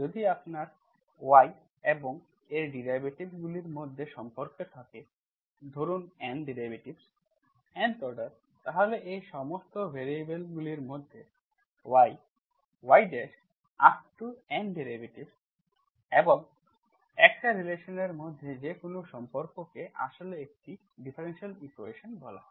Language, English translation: Bengali, If you have a relation between y and its derivatives, say N derivatives, Nth order, then any relation between y, y dash up to yn derivatives and x relation between all these variables is actually called a differential equation